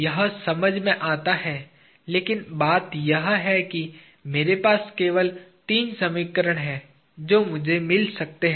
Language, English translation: Hindi, It make sense, but the thing is I have only three equations that I can get